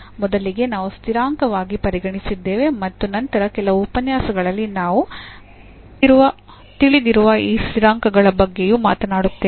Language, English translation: Kannada, So, this what treated as constant at first and in later on some lectures we will also talk about this known constants